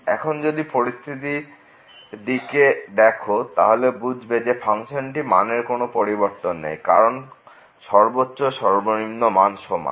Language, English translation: Bengali, Now, think about the situation, then the where the function is having maximum and the minimum value as same